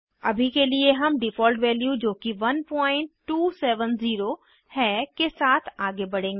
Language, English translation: Hindi, For now, we will go ahead with the default value that is Grid 1.270